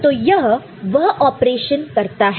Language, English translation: Hindi, So, it does the operation